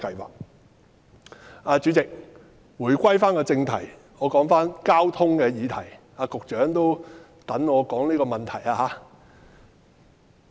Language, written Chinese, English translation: Cantonese, 代理主席，回歸正題，說回交通的議題，局長也正在等候我評論這議題。, Deputy President I now return to the subject under discussion which concerns transport policies as the Secretary is waiting for my comments on this subject